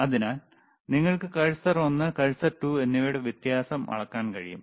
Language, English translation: Malayalam, So, you can see cursor one, cursor 2 that is the voltage